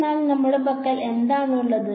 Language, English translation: Malayalam, But what do we have with us